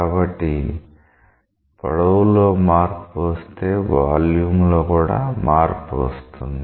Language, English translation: Telugu, So, if linear dimension gets change, the volume is also likely to get changed